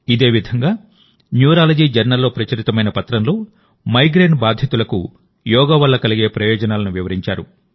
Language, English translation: Telugu, Similarly, in a Paper of Neurology Journal, in Migraine, the benefits of yoga have been explained